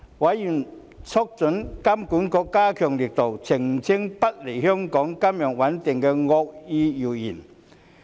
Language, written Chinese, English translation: Cantonese, 委員促請金管局嚴加澄清不利香港金融穩定的惡意謠言。, Members urged HKMA to take serious actions to dispel vicious rumours against the financial stability of Hong Kong